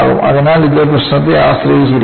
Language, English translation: Malayalam, So, it depends on the problem